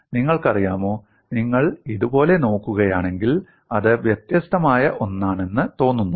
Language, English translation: Malayalam, If you look at like this, it looks as if it is something different